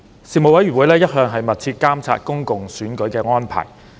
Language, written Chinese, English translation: Cantonese, 事務委員會一向密切監察公共選舉的安排。, The Panel kept a close watch on public election arrangements